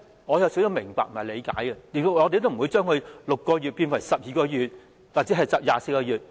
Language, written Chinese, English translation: Cantonese, 我也明白和理解這種做法，所以不會要求把它由6個月變為12個月或24個月。, I also understand the reason for such a practice so I would not demand that the period of 6 months be changed to 12 months or 24 months